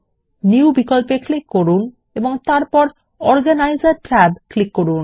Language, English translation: Bengali, Click on the New option and then click on the Organiser tab